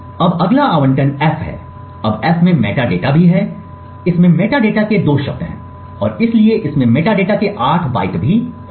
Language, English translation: Hindi, now f also has metadata the it has two words of metadata and therefore it will also have 8 bytes of metadata